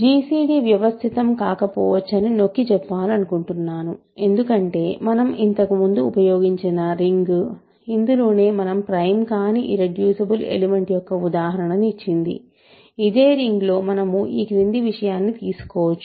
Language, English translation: Telugu, So, I want to stress that gcd may not exist, gcd may not exist and that is because, again the ring that we used earlier which gave us an example of an irreducible element that is not prime, in this same ring we can take the following